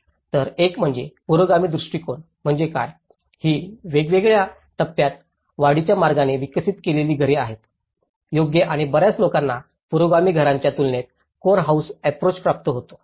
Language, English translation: Marathi, So one is, what is progressive approach, these are the houses developed in different stages in incremental way, right and many people gets a core house approach versus with the progressive housing